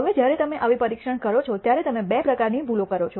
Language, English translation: Gujarati, Now, when you do such a test you commit two types of errors